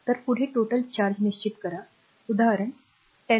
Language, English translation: Marathi, So, next one is determine the total charge the example 1 0